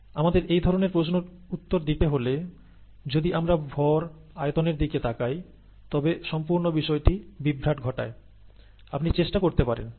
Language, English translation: Bengali, If we need to answer such questions, if we start looking at mass volume, there is going to be total confusion, okay you can try that